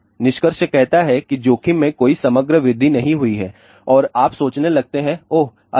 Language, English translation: Hindi, The conclusion says no overall increase in the risk and we start thinking, Oh, good